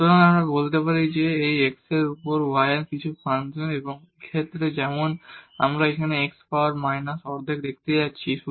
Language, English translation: Bengali, So, we can say that this is some function of y over x and in this case as we see here x power minus half